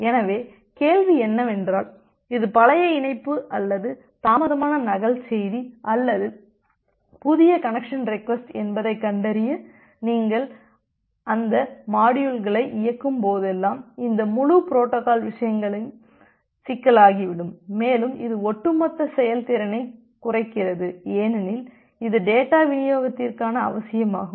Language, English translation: Tamil, So, the question comes that whenever you will execute those modules for finding out whether that is a old connection of or a delayed duplicate message or a new connection request, this entire protocol things become complicated and it reduces the overall performance because this works like a over head for the data delivery